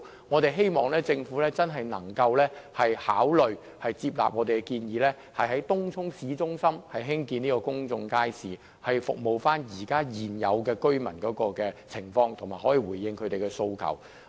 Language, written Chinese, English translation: Cantonese, 我們希望政府真的能夠考慮接納我們的建議，在東涌市中心興建公眾街市，為現有居民提供服務和回應他們的訴求。, We hope the Government can really consider accepting our proposal for building a public market in Tung Chung town centre to provide services for existing residents and respond to their aspirations